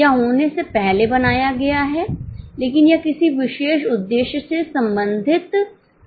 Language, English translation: Hindi, It is made prior to the happening but it is not related to any particular purpose